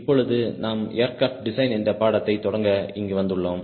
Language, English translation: Tamil, now we are here to start a course on aircraft design